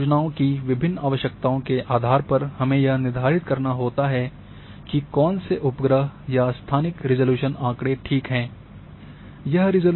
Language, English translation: Hindi, That for depending on different requirement of different projects which satellite data or which spatial resolution data are good